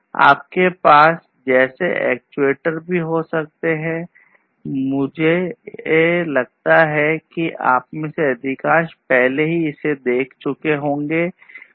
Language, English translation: Hindi, You could also have actuators like these which I think most of you have already seen right